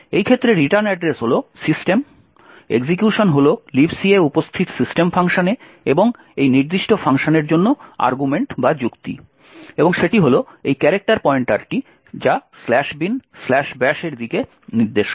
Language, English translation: Bengali, In this case the return address is the system, execution is into the system function present in LibC and the argument for this particular function is this character pointer pointing to slash bin slash bash